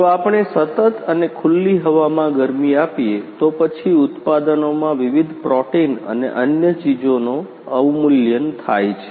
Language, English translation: Gujarati, Right If we heat continuously and in an open air, then the products different protein and other things are denatured